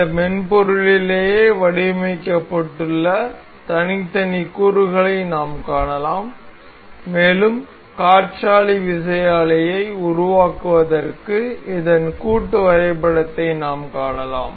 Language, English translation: Tamil, We can see the individual components of this that is designed on this software itself and we can see and we can see the assembly of this to form the wind turbine